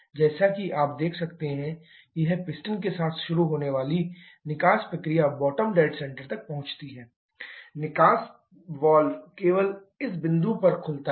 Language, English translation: Hindi, As you can see though the exhaust process supposed to start with the piston reaches the bottom dead centre someone here, the exhaust valve has opened at this particular point only